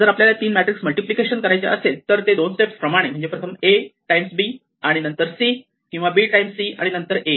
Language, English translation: Marathi, If we have to do three matrices, we have to do in two steps A times B and then C, or B times C and then A